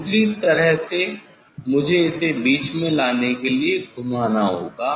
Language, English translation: Hindi, let other way, I have to rotate to bring it in middle, to bring it in middle